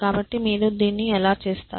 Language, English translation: Telugu, So, how do you do that